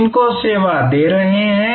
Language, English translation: Hindi, Who are you serving